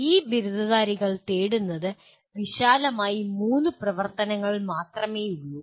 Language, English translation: Malayalam, And these graduates seek, there are only three activities broadly